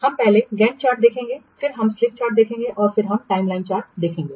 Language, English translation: Hindi, We will see first Gant chart, then we will see slip line chart and then we will see the timeline charts